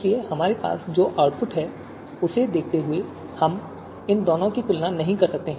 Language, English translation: Hindi, So given the output that we have, we cannot compare these two